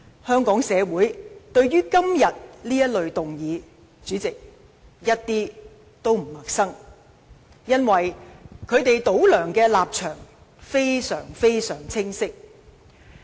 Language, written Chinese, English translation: Cantonese, 香港社會對於今天這類議案一點都不陌生，因為反對派"倒梁"的立場非常清晰。, Hong Kong people are no stranger to motions like this one today because the opposition camp has always made its anti - CY stance clear